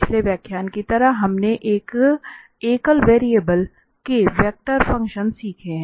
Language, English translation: Hindi, Like in the previous lecture, we have learned the vector functions of a single variable